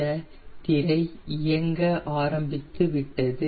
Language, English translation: Tamil, this screen has started going